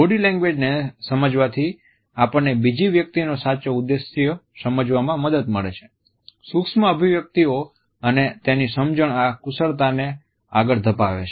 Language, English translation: Gujarati, If understanding body language helps us to understand the true intent of the other person; micro expressions and their understanding further hones these skills